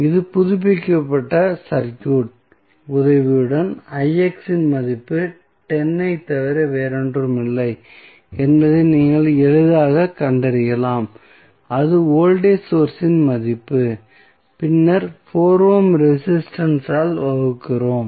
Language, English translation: Tamil, So, we with the help of this updated circuit, you can easily find out the value of Ix is nothing but 10 that is the value of the voltage source then we divided by 4 ohm resistance